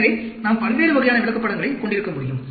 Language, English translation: Tamil, So, we can have different types of charts